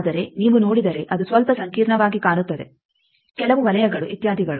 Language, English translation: Kannada, But if you look like it looks a bit complicated some circles etcetera